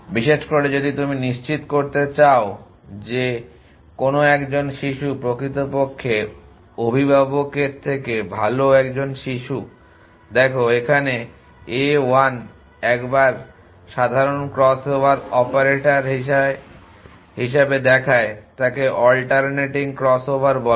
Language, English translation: Bengali, Especially if you want to ensure that one of the child is at least a better child better than the parents look as a 1 once simple crossover operator it is called alternating crossover